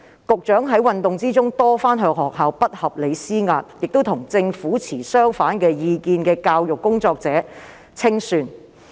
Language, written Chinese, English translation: Cantonese, 局長在運動中多番向學校不合理施壓，亦清算與政府持相反意見的教育工作者。, The Secretary repeatedly exerted undue pressure on schools during the movement and settled scores with educators who had views opposite to those of the Government